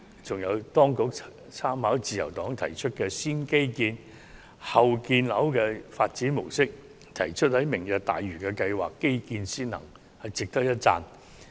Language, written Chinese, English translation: Cantonese, 此外，當局參考了自由黨提出的"先基建、後建樓"發展模式，提出推行"明日大嶼"計劃時會以基建先行，值得一讚。, Besides the Government should be commended for making reference to the development mode proposed by the Liberal Party of according priority to transport infrastructure before housing development and will give priority to infrastructure in the implementation of the Lantau Tomorrow Vision